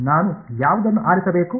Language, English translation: Kannada, Which one should I choose